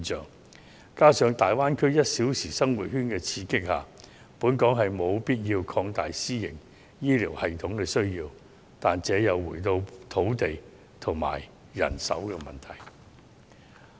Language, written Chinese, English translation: Cantonese, 再者，在大灣區 "1 小時生活圈"的刺激下，香港是有必要擴大私營醫療系統的需要，但這又回到土地及人手的問題。, Besides under the stimulation of the one - hour living circle within the Greater Bay Area Hong Kong needs to expand the private healthcare system . But this again boils down to the land and manpower problems